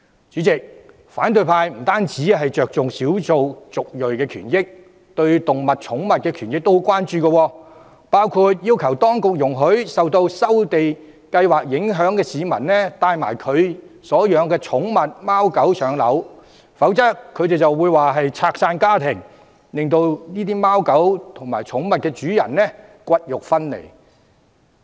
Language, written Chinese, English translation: Cantonese, 主席，反對派不單着重少數族裔的權益，他們對於動物及寵物的權益也很關注，包括要求當局容許受收地計劃影響的市民，帶同他們所飼養的貓狗寵物遷往新居，否則便被批評為折散家庭，令這些貓狗寵物與主人骨肉分離。, President the opposition attaches importance to the rights of not only the ethnic minorities but also animals and pets . One of their demands to the authorities was that residents affected by land resumption be allowed to bring along their pet dogs and cats when resettling to new homes . The authorities would be criticized for breaking up families and imposing unnatural separation between pets and owners if they fail to meet such a demand